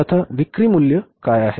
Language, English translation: Marathi, So what is the sales value now